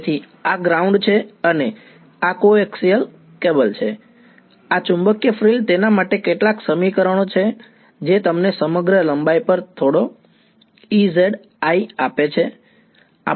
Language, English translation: Gujarati, So, this is ground and this is coax cable and this magnetic frill there are some equations for it which give you some E i z over the entire length ok